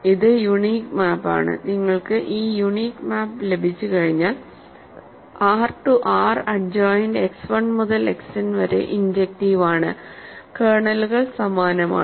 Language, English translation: Malayalam, So, this is the unique map and once you have this unique map because R to R adjoint X 1 to X n is injective, kernels are same